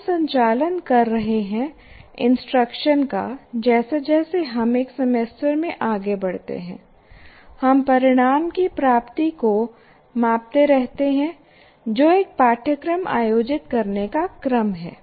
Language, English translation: Hindi, So we are conducting instruction and as we go along in a semester, we keep measuring the attainment of outcomes